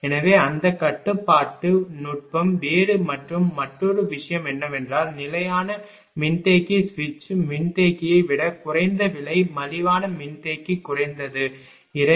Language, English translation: Tamil, So, that control technique is different and another thing is that; that fixed capacitor is less expensive than switch capacitor switch capacitor is more expensive at least 2